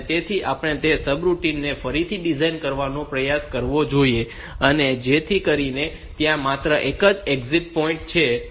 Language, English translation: Gujarati, So, we should try to redesign that subroutine so that there is only one exit point